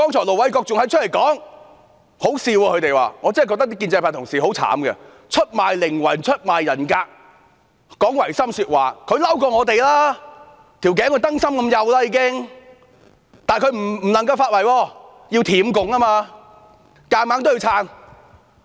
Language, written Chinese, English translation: Cantonese, 盧偉國議員剛才的說話很可笑，我真的覺得建制派同事很可憐，出賣靈魂、出賣人格、講違心的說話，他們比我們更生氣，頸已經幼得像燈芯，但他們不能發圍，因為要舔共，硬着頭皮也要撐。, I really feel sorry for colleagues from the pro - establishment camp who sell their souls and integrity and speak against their conscience . They are angrier than we are with necks as thin as wicks . Yet they must not vent their spleen as they need to bootlick the communists biting the bullet and hanging in there